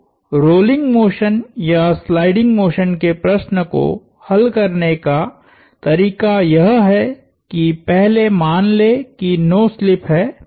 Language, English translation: Hindi, So, the way to solve a problem of rolling motion or sliding motion is to first assume no slip